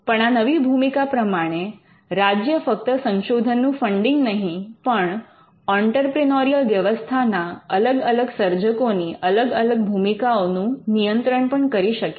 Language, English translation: Gujarati, Now, the state can apart from being a funder or giving the fund for basic research, the state could also regulate the different roles of different creators in the entrepreneurial set up